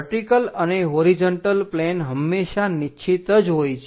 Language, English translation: Gujarati, This vertical plane, horizontal plane remains fixed